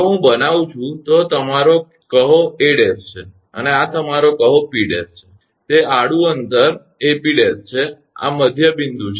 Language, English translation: Gujarati, If I make this is your say A dash and this is your say P dash that is a horizontal distance A P dash this is the midpoint